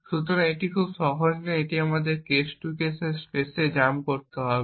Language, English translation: Bengali, So, this is not very easy and has to be done on our case to case spaces